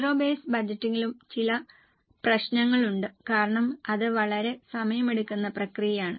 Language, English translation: Malayalam, There are also some problems in zero based budgeting because it's a very much time consuming process